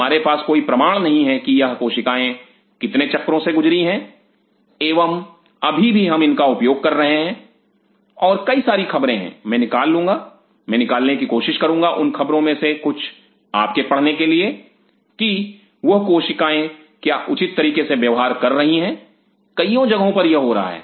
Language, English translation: Hindi, We have no clue that how many cycles these cells have gone through and still we are using it, and there are several reports I will dug out I will try to dug out those reports some of them for you to read those cells behave now very deserved several places this is happening